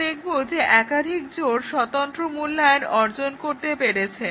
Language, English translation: Bengali, We will find that multiple pairs achieve independent evaluation